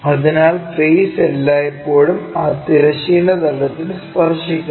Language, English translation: Malayalam, So, the face is always be touching that horizontal plane